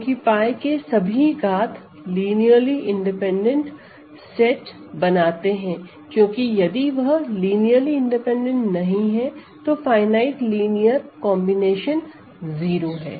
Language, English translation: Hindi, Because this all the powers of pi form a linearly independent set because, if they are not linearly independent then some finite linear combination is 0